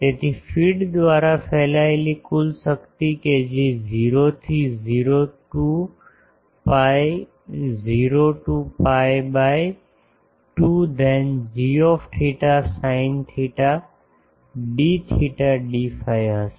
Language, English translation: Gujarati, So, the total power radiated by the feed that will be 0 to 2 pi 0 to pi by 2 then d theta sin theta d theta d phi